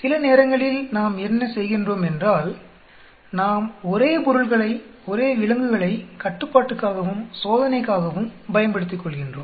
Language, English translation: Tamil, Sometimes what we do is, we make use of the same subjects, same animals both as the control as well as the test